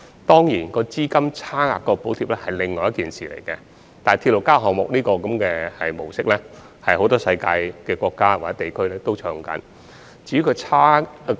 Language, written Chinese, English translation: Cantonese, 當然，"資金差額"的補貼又是另一件事，但"鐵路加物業"模式在世界很多國家或地區均有採用。, Of course the bridging of the funding gap is another matter but the RP model has been adopted in many countries or regions around the world